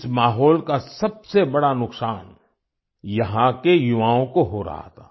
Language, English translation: Hindi, The biggest brunt of this kind of environment was being borne by the youth here